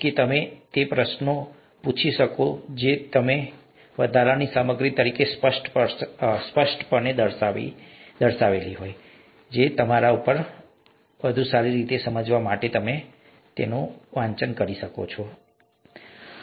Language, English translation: Gujarati, We may even ask you questions from that; whereas the others that are clearly pointed out as additional material, it is upto you, you can go and read them up for better understanding and so on so forth